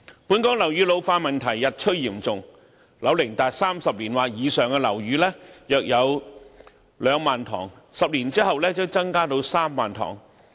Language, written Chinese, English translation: Cantonese, 本港樓宇老化問題日趨嚴重，樓齡達30年或以上的樓宇約有 20,000 幢 ，10 年後將增至 30,000 幢。, The ageing of buildings in Hong Kong will become increasingly serious . There are about 20 000 buildings aged 30 years or above and the number will increase to 30 000 after 10 years